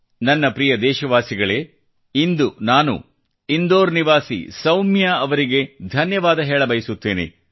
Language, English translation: Kannada, My dear countrymen, today I have to thank Soumya ji who lives in Indore